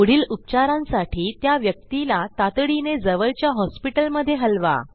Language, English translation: Marathi, Shift the person quickly to the nearest hospital for further treatment